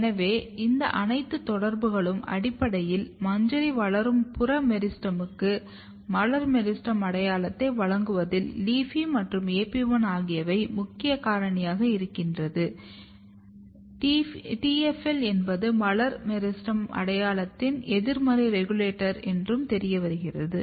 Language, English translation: Tamil, So, all these interaction basically suggest that LEAFY and AP1 they are very very important factor in giving floral meristem identity to the peripheral meristem developing at the inflorescence and TFL is a negative regulator of floral meristem identity